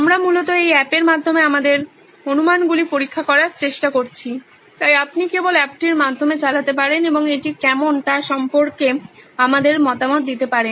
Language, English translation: Bengali, We are trying to test our assumptions through this app basically, so you can just run through the app and give us a feedback on how it is